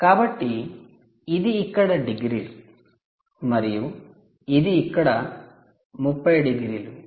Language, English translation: Telugu, so this is hundred and twenty degrees here and this is thirty degrees here